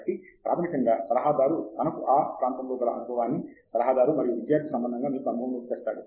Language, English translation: Telugu, So, basically, the advisor brings experience; experience in that area, and in that relationship as an advisor and a student relationship